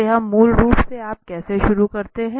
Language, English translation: Hindi, So this is basically how you start